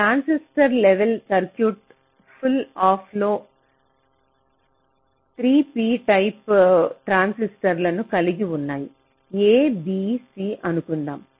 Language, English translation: Telugu, so a transistor level circuit will consists of: the pull up there will be three beta transistors, lets say a, b, c